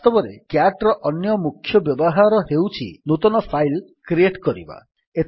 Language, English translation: Odia, In fact, the other main use of cat is to create a file